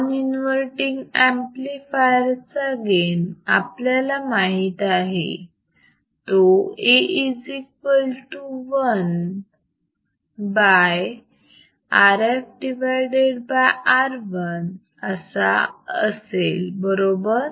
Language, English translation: Marathi, So, non inverting amplifier gain we know gain is nothing, but A equal to 1 by R f by R I right